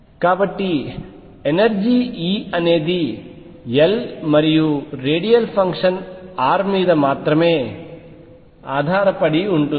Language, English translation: Telugu, So, the energy E depends on L and radial function r only